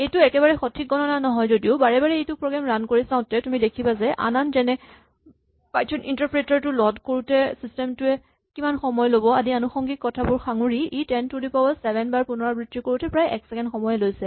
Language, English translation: Assamese, I mean this is not a precise calculation, but if you run it repeatedly you say at each time, because there are some other factors like how long it takes for the system to load the Python interpreter and all that, but if you just do it repeatedly you see that the 10 to the 7 takes about the second or more